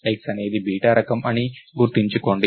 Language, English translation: Telugu, So, remember X is a data type